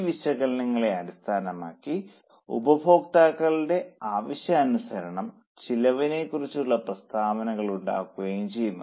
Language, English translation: Malayalam, Based on all this analysis, the cost statements are prepared as for the needs of users